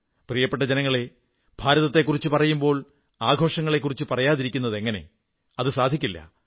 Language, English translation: Malayalam, My dear countrymen, no mention of India can be complete without citing its festivals